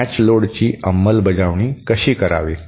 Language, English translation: Marathi, How to implement a matched load